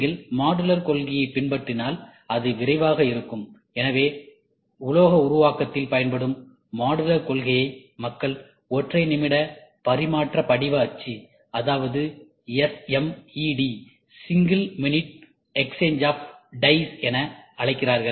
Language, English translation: Tamil, If you follow modular concept it is quick, so that is what people call using modular concepts in metal forming, we call SMED Single Minute Exchange of Dies